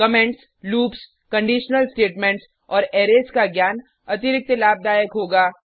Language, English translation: Hindi, Knowledge of comments, loops, conditional statements and Arrays will be an added advantage